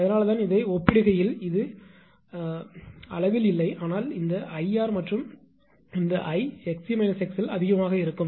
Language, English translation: Tamil, That is why I compared to this this on the it is not on the scale, but this I r and I x l minus x it will be higher